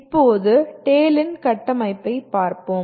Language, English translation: Tamil, Now, let us look at the structure of the TALE